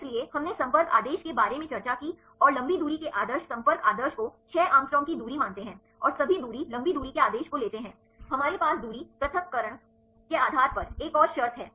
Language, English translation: Hindi, So, we discussed about the contact order and the long range order contact order considers the distance of six angstrom and take all the distances long range order, we have the one more conditions based on the distance separation